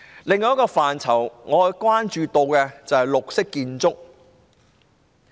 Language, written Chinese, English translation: Cantonese, 另一個我關注的範疇是綠色建築。, Another area of concern to me is green buildings